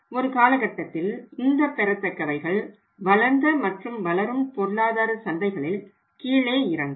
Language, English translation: Tamil, And over the period of time the receivables are coming down in both developed and developing economy markets